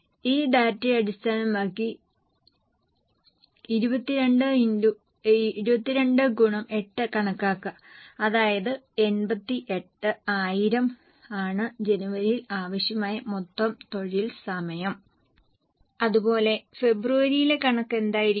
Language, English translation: Malayalam, Based on this data 22 into 8 that means 88,000 are the total labour hour required for January